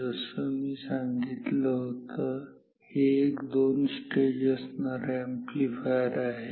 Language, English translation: Marathi, So, this is what a two stage amplifier is